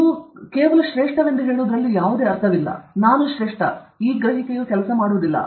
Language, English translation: Kannada, There is no point in saying that I am great; I am great; it will not work